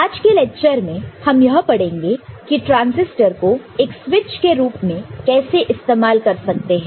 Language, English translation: Hindi, So, in today’s lecture we shall cover Transistor as a switch